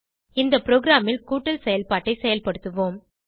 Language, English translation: Tamil, In this program we will perform addition operation